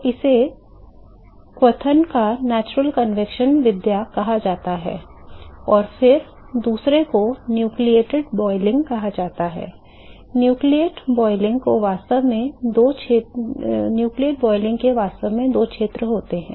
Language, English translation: Hindi, So, this is what is called the natural convection mode of boiling, and then the second one is called the nucleate boiling, nucleate boiling actually has two regions